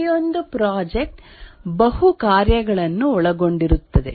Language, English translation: Kannada, Each project is large, consisting of multiple tasks